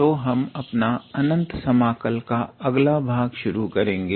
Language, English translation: Hindi, So, we will start our next section of Improper Integral